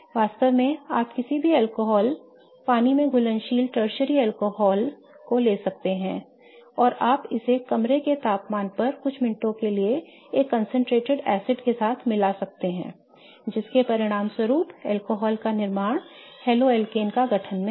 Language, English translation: Hindi, In fact, you can take any alcohol, water soluble tertiary alcohol and you can mix it with a concentrated acid for a few minutes at room temperature it will result into the corresponding alcohol to the haloalkane formation